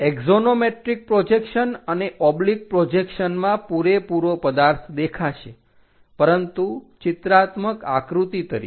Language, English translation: Gujarati, In axonometric projections and oblique projections, the complete object will be shown, but as a pictorial drawing